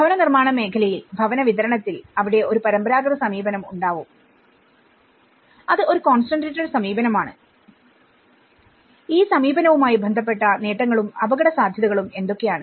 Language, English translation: Malayalam, In the housing sector, in the housing delivery, there has been a traditional approach, which is a concentrated approach and what are the benefits and risks associated with this approach